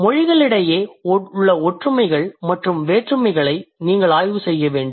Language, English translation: Tamil, So, you must study similarities and differences among languages